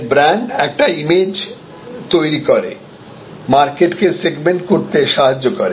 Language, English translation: Bengali, So, brand therefore, helps to segment the market by tailoring the image